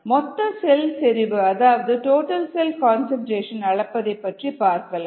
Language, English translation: Tamil, let us look at measuring the total cell concentration